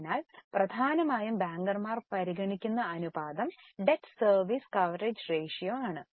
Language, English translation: Malayalam, So, important ratio which is mainly considered by bankers is debt service coverage ratio